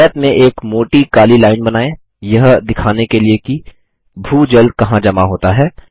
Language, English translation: Hindi, In the rectangle, lets draw a thick black line to show where the ground water accumulates